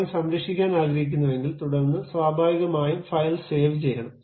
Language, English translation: Malayalam, I would like to save the drawing, then naturally I have to go file save as